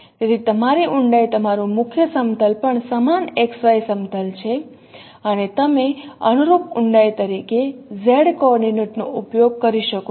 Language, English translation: Gujarati, So your depth your principal plane is also the same x y plane and you can use z coordinate as a corresponding depth